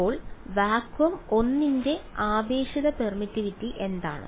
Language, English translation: Malayalam, So, what is relative permittivity of vacuum 1